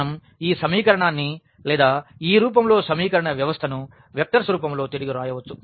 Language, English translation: Telugu, So, we can again rewrite these equation or the system of equation in this form in the vectors form